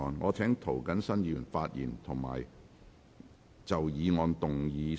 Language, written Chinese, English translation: Cantonese, 我請涂謹申議員發言及就議案動議修正案。, I call upon Mr James TO to speak and move an amendment to the motion